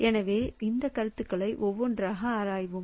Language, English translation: Tamil, So we'll look into these concepts one by one